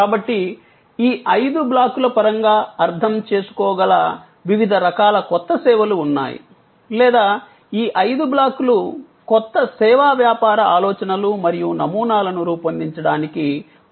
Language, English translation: Telugu, So, there are different kinds of new services which can be understood in terms of these five blocks or these five blocks can help us to generate new service business ideas and models